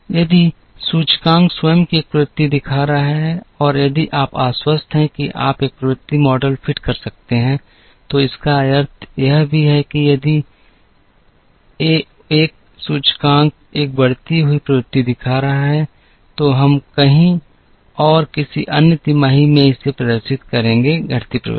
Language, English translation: Hindi, If the index itself is showing a trend and if you are convinced you can fit a trend model, there which also means that, if 1 index is showing an increasing trend, we are somewhere else in some other quarter the other the it will show a decreasing trend